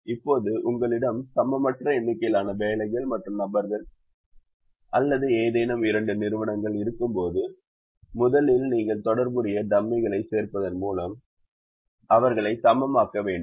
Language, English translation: Tamil, now, when you have an unequal number of jobs and people or any two entities of you first have to make them equal by adding corresponding dummy's